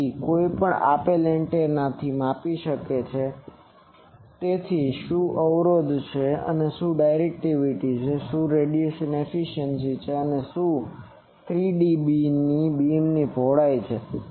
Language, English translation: Gujarati, So, anyone can measure with any given antenna, what are it is impedance what are it is gain what is it is directivity what is it is radiation efficiency and what is it is pattern what is the 3dB beam width